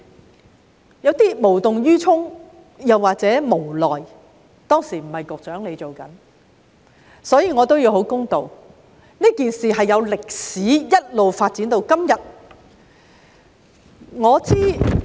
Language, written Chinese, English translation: Cantonese, 不知局方是無動於衷或無奈——當時並非由局長負責，我必須公道——這件事情是有歷史的，一直發展至今天。, I am not sure whether EDB is indifferent or helpless―I must be fair to the Secretary as he was not the person - in - charge back then―the issue has developed and evolved until today